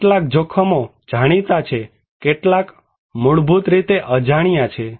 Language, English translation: Gujarati, Well, some dangers are known, some are unknown basically